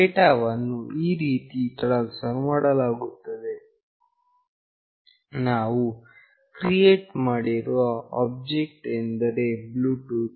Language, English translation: Kannada, The transfer of data takes place in this way, the object that we have created bluetooth